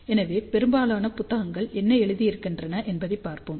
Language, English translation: Tamil, So, let us see what most of the books write